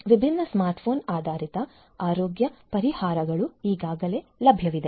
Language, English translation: Kannada, Different smart phone based healthcare solutions are already available